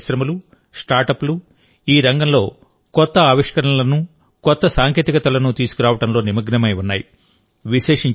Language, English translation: Telugu, Indian industries and startups are engaged in bringing new innovations and new technologies in this field